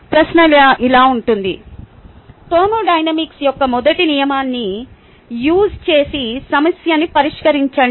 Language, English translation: Telugu, the question can be like: use first law thermodynamics and solve a problem